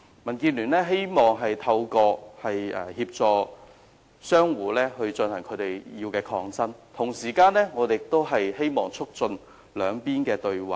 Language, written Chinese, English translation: Cantonese, 民建聯希望協助商戶進行他們的抗爭，同時亦希望可以促進雙方對話。, DAB hoped to help the tenants to stand up for their rights yet it also wished to facilitate both sides in entering into dialogue